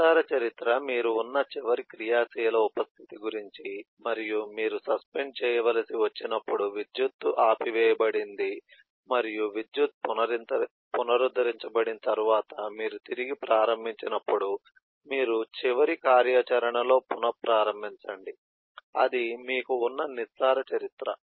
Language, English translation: Telugu, the shallow history is about the last active eh sub state that you were in, and so when you had to be suspended because the power has back up, and when you resume after the power has been restored, you restart in the last activity that you had been in